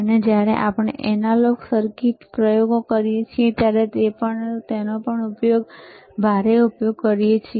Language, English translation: Gujarati, And that also we we heavily use when we do the analog circuits experiments